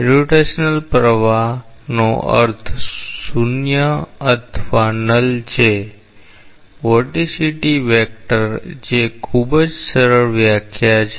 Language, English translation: Gujarati, Irrotational flow means 0 or null vorticity vector that is the very simple definition